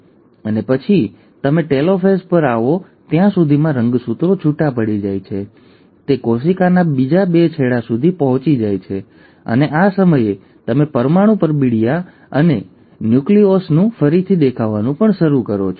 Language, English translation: Gujarati, And then by the time you come to telophase, the chromosomes have separated, they have reached the other two ends of the cell, and at this point of time, you also start seeing the reappearance of the nuclear envelope and the nucleolus